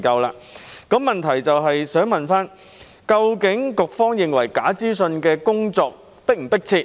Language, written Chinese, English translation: Cantonese, 我的補充質詢是：究竟局方認為應對假資訊的工作是否迫切？, My supplementary question is Does the Bureau consider it pressing to address the issue of false information?